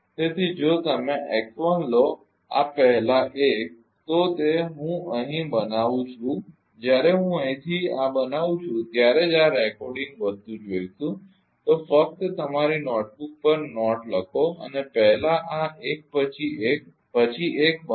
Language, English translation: Gujarati, So, if you take the x 1 first this 1 first then ah then it will be I am making it here when will ah I am making from here only when will see this ah recording thing you will just write down on your ah note notebook first this one and then make one by one, right